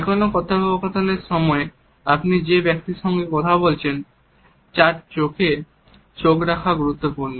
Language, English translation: Bengali, During any interaction it is important to hold the eyes of the other person you are talking to